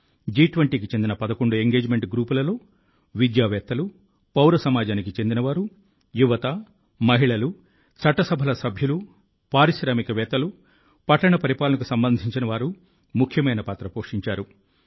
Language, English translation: Telugu, Among the eleven Engagement Groups of G20, Academia, Civil Society, Youth, Women, our Parliamentarians, Entrepreneurs and people associated with Urban Administration played an important role